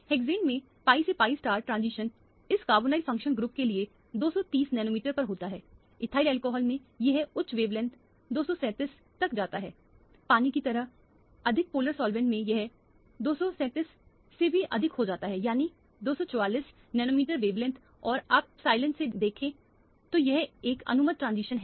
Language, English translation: Hindi, In hexane, the pi to pi star transition occurs for this carbonyl functional group at 230 nanometer, in ethyl alcohol it goes to higher wavelength 237, in a more polar solvent like water it goes even higher than the 237 namely 244 nanometer wavelength and you can see from the epsilon that this is an allowed transition